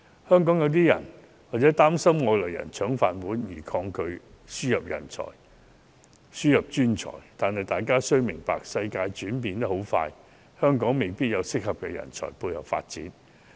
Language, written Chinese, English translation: Cantonese, 香港有些人擔心外來人"搶飯碗"而抗拒輸入專才，但大家要明白，世界轉變得很快，香港未必有適合的人才配合發展。, Some Hong Kong people are against the importation of professionals for fear that their rice bowls will be snatched by outsiders . However we must know that the world is changing fast . Hong Kong may not have the talents needed to support its development